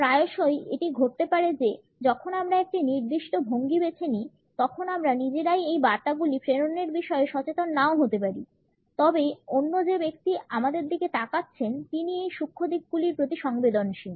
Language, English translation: Bengali, Often it may happen that when we opt for a particular posture, we ourselves may not be aware of transmitting these messages, but the other person who is looking at us is not impervious to these subtle suggestions